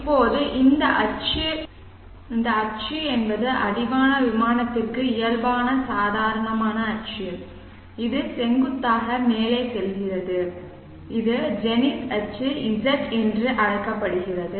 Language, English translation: Tamil, Now this axis is the normal axis normal to the horizon plane it goes vertically up and this is called the zenith axis Z this also we know